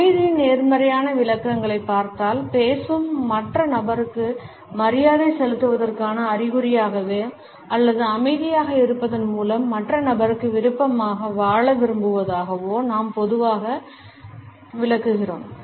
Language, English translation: Tamil, If we look at the positive interpretations of silence we normally interpret it as a sign of respect towards the other person who is speaking or a desire to live in option to the other person by remaining silent